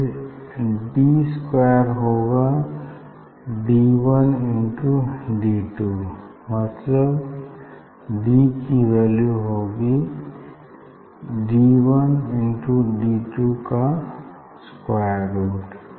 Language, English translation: Hindi, d square equal to d 1 into d 2 d equal to square root of d 1 d 2